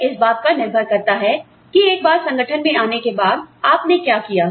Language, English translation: Hindi, It is dependent on, what you did, once you entered the organization